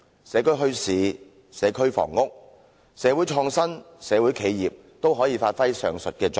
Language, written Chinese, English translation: Cantonese, 社區墟市、社區房屋、社會創新、社會企業都可以發揮上述作用。, Community bazaars community housing community creativity and community enterprises can all achieve the functions above